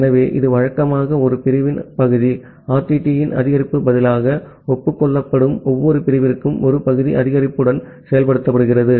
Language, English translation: Tamil, So, it is usually implemented with a partial increase for every segment that is being acknowledged, rather than an increase of one segment part RTT